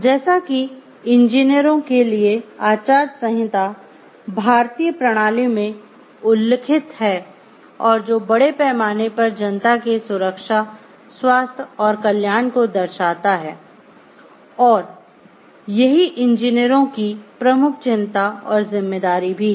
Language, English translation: Hindi, As mentioned in the Indian system for the codes of ethics for the engineers, which shows the safety health and welfare of the public at large is the major major concern for the engineers is a major major responsibility of the engineers